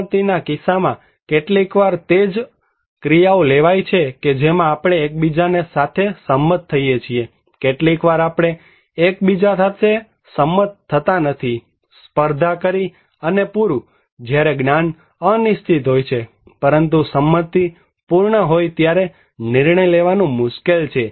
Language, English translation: Gujarati, In case of consent, that is what actions to be taken is sometimes we agreed with each other, sometimes we do not agree with each other so, contested and complete, when knowledge is uncertain, but consent is complete, decision making is difficult